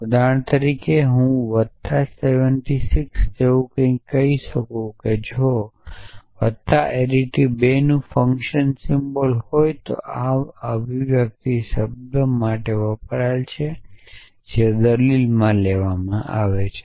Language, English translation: Gujarati, So, for example, I could say something like plus 7 6 if plus is a function symbol of arity 2 then this expression stands for the term which takes to arguments